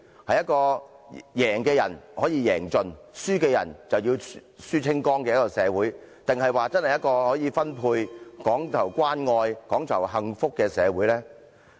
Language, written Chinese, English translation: Cantonese, 是一個贏的人可以贏盡、輸的人則輸清光的社會，還是一個可以分配，講求關愛、講求幸福的社會呢？, Is it a society where winners can win all and losers will lose all or one that enables sharing and emphasizes caring and happiness?